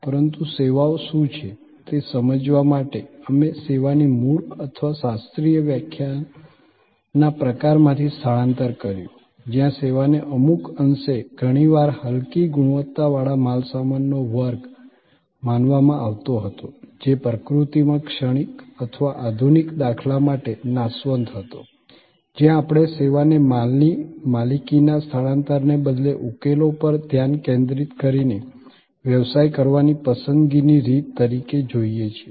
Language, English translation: Gujarati, But, to understand that what are services, we shifted from the kind of original or classical definition of service, where service was considered somewhat often inferior class of goods which was transient in nature or perishable to the modern paradigm, where we look at service as a preferred way of doing business, focusing on solutions rather than transfer of ownership of goods